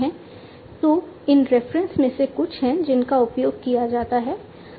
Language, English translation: Hindi, So, these are some of these references that are used